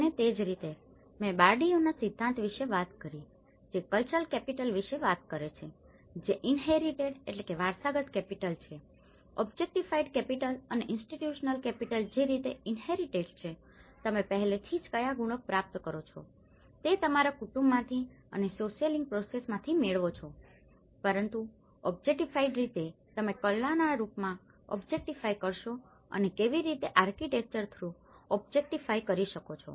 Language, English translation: Gujarati, And similarly, I spoke about the Bourdieu’s theory which talks about the cultural capital which is the inherited capital, the objectified capital and the institutional capital inherited which is basically, an inbuilt with what the qualities you achieve from your family and through your socialization process, but in objectified how you objectify in the form of art and how you can objectify through the architecture